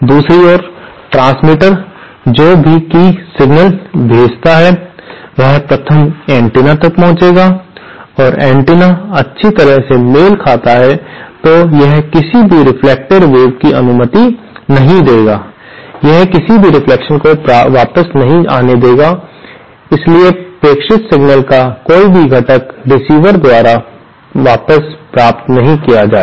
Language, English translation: Hindi, The transmitter on the other hand, any signal that it sends will reach the antenna 1st and if the antenna is well matched, then it will not allow any reflected wave, it will allow no reflection back, so no component of the transmitted signal will be received back by the receiver